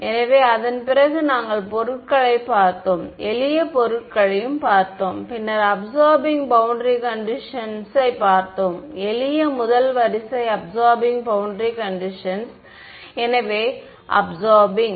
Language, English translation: Tamil, So, we saw that exactly then after that we looked at materials are done, then we looked at absorbing boundary conditions; simple first order absorbing boundary condition right so, absorbing